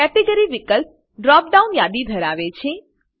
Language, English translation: Gujarati, Category field has a drop down list